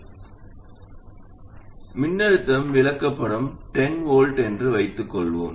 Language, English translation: Tamil, Let's say the supply voltage is for illustration 10 volts